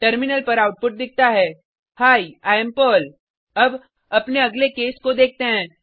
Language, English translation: Hindi, The output shown on the terminal is Hi, I am Perl Now, let us look at our next case